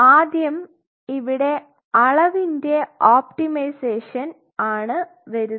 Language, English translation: Malayalam, So, your first optimization comes here quantity optimization